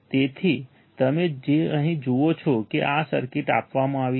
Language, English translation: Gujarati, So, you see here this circuit is given